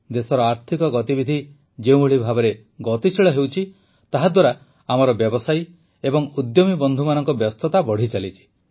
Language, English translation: Odia, The way economic activities are intensifying in the country, the activities of our business and entrepreneur friends are also increasing